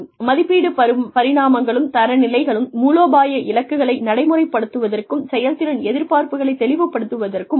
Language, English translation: Tamil, Appraisal dimensions and standards can help to implement, strategic goals and clarify performance expectations